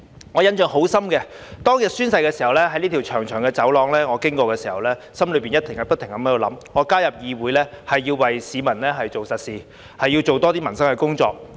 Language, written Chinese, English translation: Cantonese, 我印象很深的是，宣誓當日，我經過這條長長的走廊時，心內不停在想，我加入議會是要為市民做實事，要多做一些民生的工作。, I still strongly remember that when I was passing through this long corridor on the day of oath - taking I kept thinking to myself that I join this Council to do concrete things for the public and do more to improve peoples livelihood